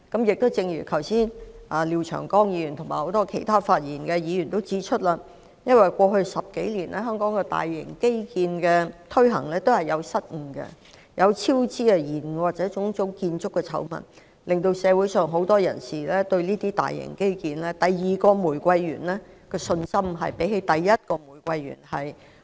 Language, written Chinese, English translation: Cantonese, 剛才廖長江議員和很多發言的議員都指出，因為在過去10多年，香港推行大型基建都出現失誤、超支、延誤，或者種種建築醜聞，削弱了社會上很多人對這些大型基建的信心，令他們對第二個玫瑰園的信心遠低於第一個玫瑰園。, Mr Martin LIAO and many Members who rose to speak pointed out earlier that the blunders cost overruns delays or construction scandals associated with Hong Kongs large - scale infrastructure projects implemented over the past 10 - odd years have undermined the confidence of many members of the public in such large - scale infrastructure projects . Public confidence in the second rose garden is far weaker than that in the first one